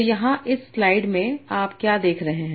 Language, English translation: Hindi, So that's what you were saying in this slide